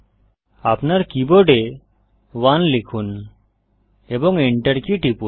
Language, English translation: Bengali, Type 1 on your key board and hit the enter key